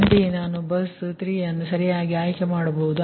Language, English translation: Kannada, similarly, i can choose the bus three, right